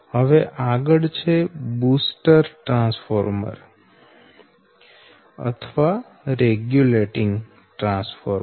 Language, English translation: Gujarati, next, is that booster transformer or regulating transformer